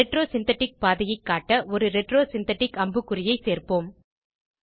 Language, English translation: Tamil, Let us add a retro synthetic arrow, to show the retro synthetic pathway